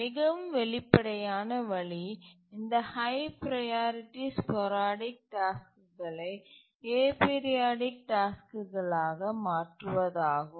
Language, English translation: Tamil, A very obvious way is to convert these high priority sporadic tasks into periodic tasks